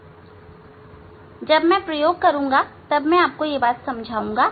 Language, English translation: Hindi, That when we will do experiment I will explain